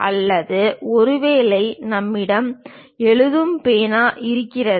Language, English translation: Tamil, Or perhaps we have a writing pen